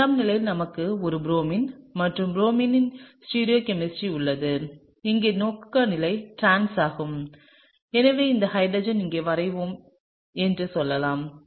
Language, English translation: Tamil, On the 2 position we have a Br and the stereochemistry of the Br, relative orientation is trans and so, therefore, let’s say I draw this hydrogen over here